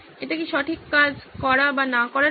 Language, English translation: Bengali, Whether it is for the right thing to do or not